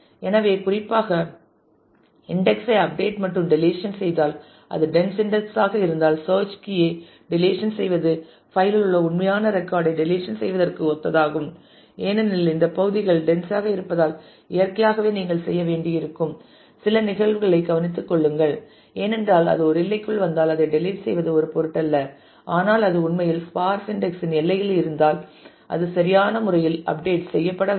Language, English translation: Tamil, So, updating the index particularly if you do deletion then the if it is a dense index then the deletion of the search key is similar to deletion of the actual record in the file because it is dense if these parts, then naturally you will have to take care of some of the cases, because if it falls within a range then just deleting it would not matter, but if it falls on the boundary where it is actually sparsely indexed then that will have to be appropriately updated